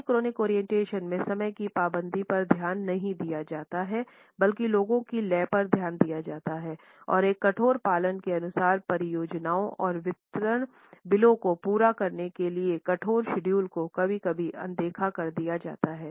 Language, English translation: Hindi, In the polychronic orientation punctuality is largely ignored to the rhythm of the people and the rigid adherence to completing the projects and delivery bills, according to a rigid schedule is sometimes overlooked